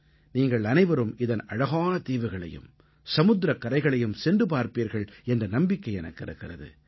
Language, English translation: Tamil, I hope you get the opportunity to visit the picturesque islands and its pristine beaches